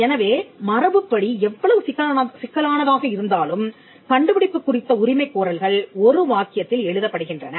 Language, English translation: Tamil, So, by convention, no matter how complicated, the invention is claims are written in one sentence